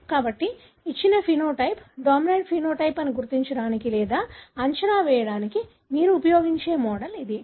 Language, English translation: Telugu, So, this is the model that you can use it to identify or even predict that a given phenotype is dominant phenotype